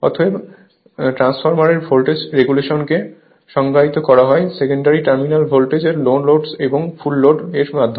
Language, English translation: Bengali, Therefore, the voltage regulation of transformer is defined as the net change in the secondary terminal voltage from no load to full load right